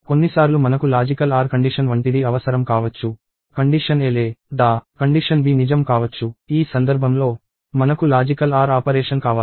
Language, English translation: Telugu, Sometimes I may need something like a logical OR condition; either condition a is true or condition b is true; in which case, we want logical OR operation